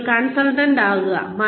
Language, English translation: Malayalam, You become a consultant